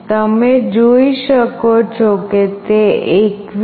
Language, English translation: Gujarati, You can see that it has become 21